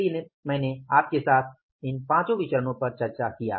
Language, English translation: Hindi, So, I discussed with you these five variances